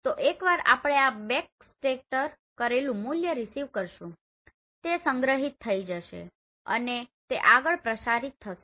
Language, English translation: Gujarati, So once we receive this backscattered value it will be stored and it will be transmitted further